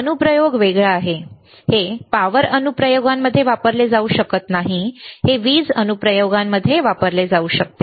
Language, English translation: Marathi, The application is different, this cannot be used in power applications, this can be used in power applications